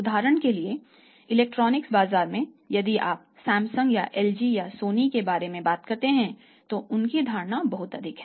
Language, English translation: Hindi, Now when you talk about electronics market if you talk about Samsung if you talk about LG if it talk about Sony their perception is very high